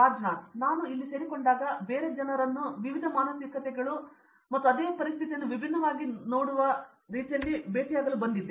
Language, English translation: Kannada, Yeah as I joined here I came to meet so many different people like with different mentalities and the way they look at the same situation differently